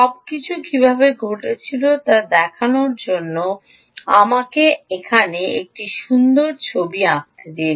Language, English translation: Bengali, let me draw a nice picture here to show you how a everything happened